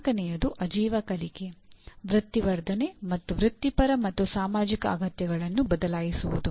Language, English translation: Kannada, The fourth one is engage in lifelong learning, career enhancement and adopt to changing professional and societal needs